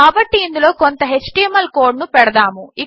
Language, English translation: Telugu, So lets put some html code here